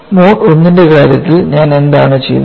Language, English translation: Malayalam, So, in the case of mode 1 what we did